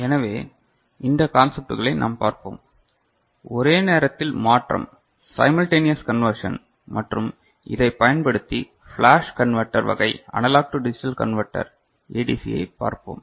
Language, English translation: Tamil, So, in this we shall cover these concepts simultaneous conversion and use of this method for flash converter type analog to digital converter ADC